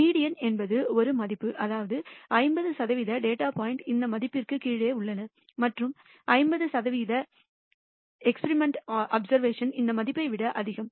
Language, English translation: Tamil, The median is a value such that 50 percent of the data points lie below this value and 50 percent of the experimental observations are greater than this value